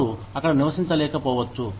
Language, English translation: Telugu, They may not be able to live there